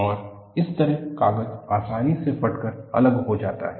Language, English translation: Hindi, And, paper fails easily by tearing action